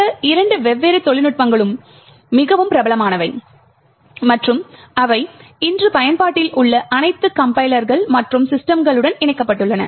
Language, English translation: Tamil, Both these different techniques are very popular and have been incorporated in all compilers and systems that are in use today